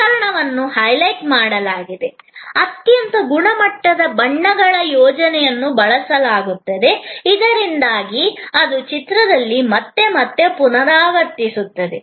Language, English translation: Kannada, The equipment is highlighted, a very standard colors scheme is used, so that it invokes again and again and again in the same in image